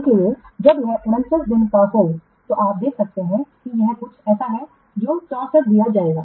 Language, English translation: Hindi, So that is when it is 49 days, you can see that this is something what 64 it will be given